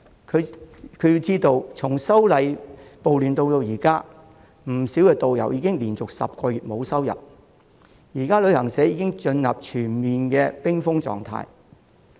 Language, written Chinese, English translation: Cantonese, 他須知道從反修例暴亂至今，不少導遊已經連續10個月沒有收入，現時旅行社已經進入全面冰封狀態。, He should know that since the riots arising from the opposition to the proposed legislative amendments quite a number of tourist guides have been left with no income for 10 months in a row . Travel agents have now been brought to a complete standstill